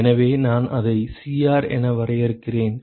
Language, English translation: Tamil, So, I define that as Cr